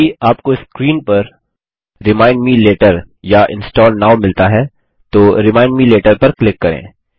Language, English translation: Hindi, If you get a screen saying Remind me later or Install now, click on Remind me later